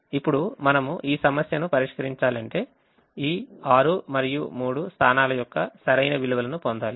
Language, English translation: Telugu, now we have to solve this problem, which means we should get the correct values of this six and three positions